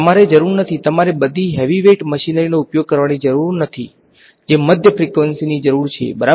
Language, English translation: Gujarati, You do not have to need, you do not have to use all the heavyweight machinery that mid frequency needs ok